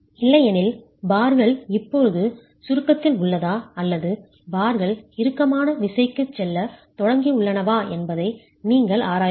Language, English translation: Tamil, Otherwise you will have to examine whether the bars are now in compression or the bars have started going into tension